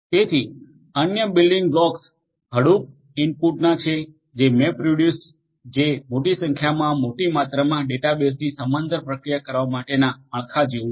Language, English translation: Gujarati, So, the other building blocks of Hadoop input the MapReduce which is like a framework for processing large number of large amount of data bases in parallel